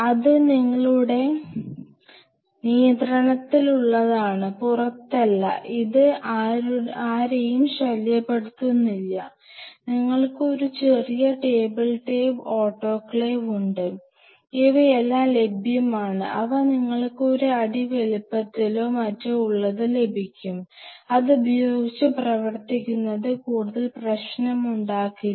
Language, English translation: Malayalam, Which is in your control it is not outside, it is not bothering anybody, you have a small table top autoclave and these are all available they are of kind of you know like one feet size or something like this, and they are very cool stuff to you know work with this does not create much problem